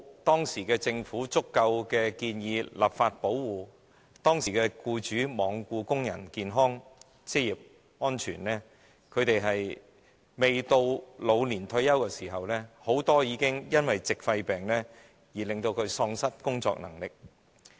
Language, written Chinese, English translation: Cantonese, 當時政府沒有建議立法以提供足夠保護，僱主亦罔顧工人的健康和職業安全，以致很多工人未屆老年退休時，已經因為矽肺病而喪失工作能力。, Back then while there was no legislation proposed by the Government to provide sufficient protection employers were also oblivious to the health and occupational safety of workers . As a result many workers lost their working capacity due to pneumoconiosis before their retirement age